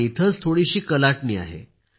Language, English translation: Marathi, But here is a little twist